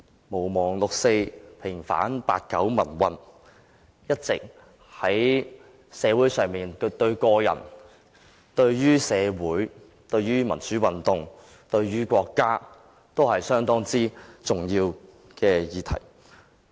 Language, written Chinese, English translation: Cantonese, "毋忘六四，平反八九民運"，在社會上對於個人、對於社會、對於民主運動和對於國家，一直是一項相當重要的議題。, That the 4 June incident be not forgotten and the 1989 pro - democracy movement be vindicated has all along been a very significant issue to individuals in society the community pro - democracy movements and the country alike